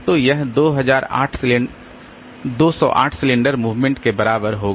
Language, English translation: Hindi, So, this will require 208 cylinder movements